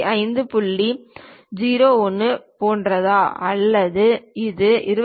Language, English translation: Tamil, 01 or is it 25